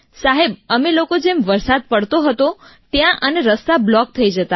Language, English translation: Gujarati, Sir, when it used to rain there, the road used to get blocked